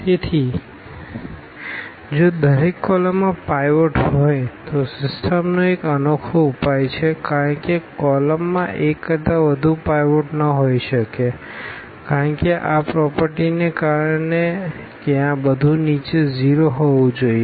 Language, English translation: Gujarati, So, if each column has a pivot then the system has a unique solution because the column cannot have more than one pivot that because of this property that below this everything should be 0